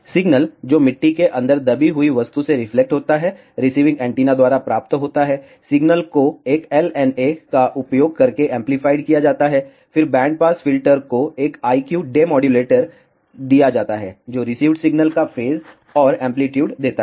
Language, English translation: Hindi, The signal that gets reflected from the object buried inside the soil is received by the receiving antenna, the signal is amplified using a LNA, then band pass filter then given to an I Q Demodulator, which gives the phase and amplitude of the received signal